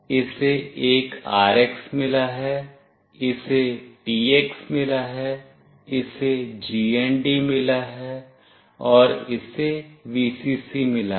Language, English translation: Hindi, It has got an RX, it has got a TX, it has got a GND, and it has got a Vcc